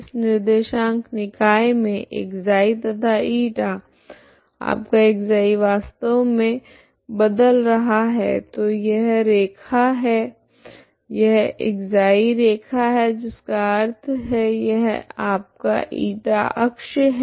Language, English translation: Hindi, ξ is you are in this coordinate system ξ and η, ξ is ξ you have to integrate ξ is actually varying from so this is the line this is the line this is the ξ line ξ equal to ξ line that means this is your η axis